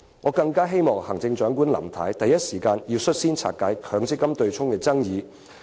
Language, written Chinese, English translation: Cantonese, "我希望行政長官林太能在第一時間率先平息有關取消強積金對沖的爭議。, I hope the Chief Executive Mrs LAM will be the first to settle the controversy over the abolition of the MPF offsetting arrangement in the first place